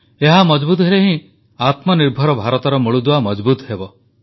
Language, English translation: Odia, If they remain strong then the foundation of Atmanirbhar Bharat will remain strong